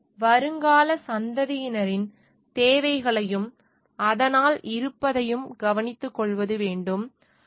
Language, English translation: Tamil, And also taking care of the future generations needs and therefore existence